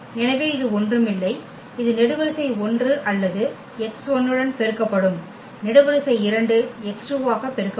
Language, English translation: Tamil, So, that is nothing but this is column 1 or will be multiplied to this x 1, the column 2 will be multiplied to x t2wo and so on